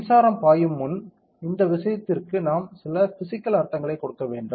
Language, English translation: Tamil, Before electric current can flow we need to give some physical meaning to this thing right